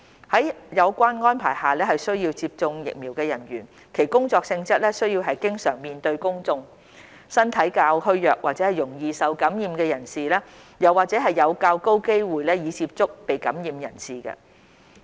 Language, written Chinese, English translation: Cantonese, 在有關安排下需要接種疫苗的人員，其工作性質需要經常面對公眾、身體較虛弱或容易受感染的人士，又或者有較高機會接觸已被感染的人士。, People who are required to be vaccinated under the relevant arrangements are those whose job involves frequent contact with the public and physically vulnerable or susceptible persons as well as those who have a higher chance of coming into contact with infected persons